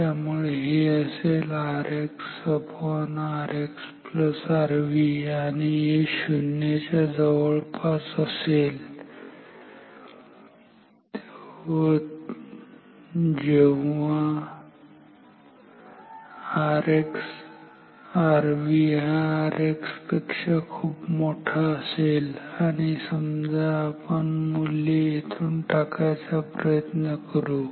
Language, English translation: Marathi, So, this will be R X by R X plus R V and this will be close to 0 only if R V is much higher than R X and now if we put the values from here